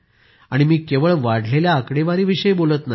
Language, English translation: Marathi, And I'm not talking just about numbers